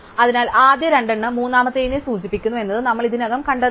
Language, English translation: Malayalam, So, the fact that the first two imply the third is what we have already shown